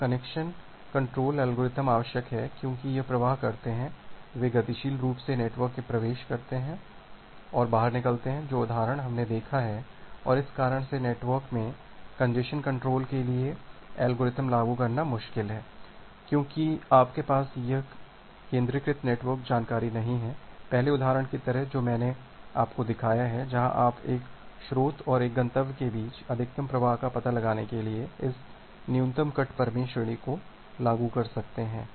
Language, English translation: Hindi, So, this congestion control algorithm, it is required because this flows they enter and exit network dynamically, the example that we have seen and because of this reason, applying an algorithm for congestion control in the network is difficult because you do not have this centralized network information, like the first example that I have shown you where you can apply this min cut theorem to find out the maximum flow between one source and one destination